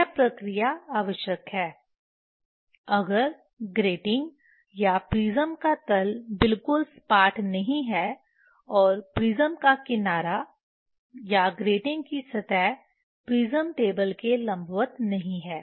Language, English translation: Hindi, This operation is required if the bottom of grating or prism is not perfectly flat and edge of the prism or surface of grating is not perpendicular to the prism table